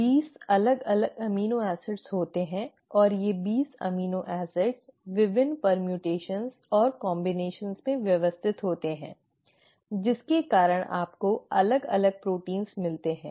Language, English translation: Hindi, There are 20 different amino acids and these 20 amino acids arranged in different permutations and combinations because of which you get different proteins